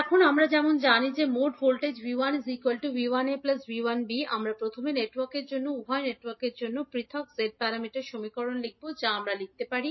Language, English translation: Bengali, Now, as we know that the total voltage V 1 is nothing but V 1a plus V 1b, we will first write the individual Z parameter equations for both of the networks for network A what we can write